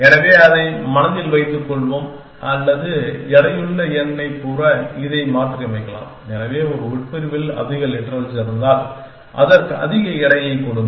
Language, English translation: Tamil, So, will keep that in mind or we can modify this to say weighted number, so if a clause has more literals then give it more weight